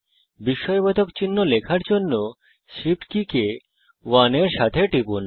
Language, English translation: Bengali, To type the exclamation mark, press the Shift key together with 1